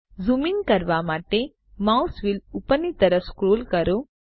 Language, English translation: Gujarati, Scroll the mouse wheel upwards to zoom in